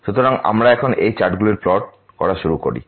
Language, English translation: Bengali, So, we now actually start plotting these charts